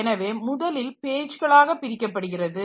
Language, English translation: Tamil, So, the first, divide into pages